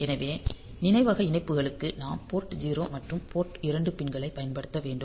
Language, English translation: Tamil, So, for memory connections; we have to use port 0 and port 2 pins